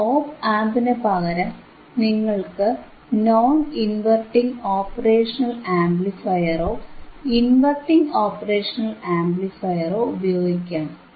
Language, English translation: Malayalam, And instead of ian op amp, you can use non inverting operational amplifier or you can use the inverting operational amplifier